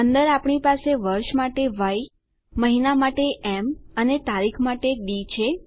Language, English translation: Gujarati, Inside we have Y for the year, m for the month and d for the date